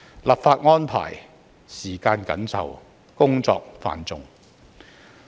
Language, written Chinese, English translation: Cantonese, 立法安排時間緊湊，工作繁重。, The tight schedule for legislative arrangement is also coupled with heavy workloads